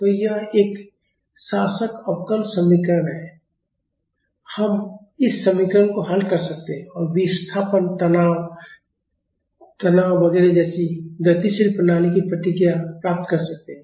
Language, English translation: Hindi, So, it is a governing differential equation and we can solve this equation and get the responses of the dynamic system like displacement, stresses, strains etcetera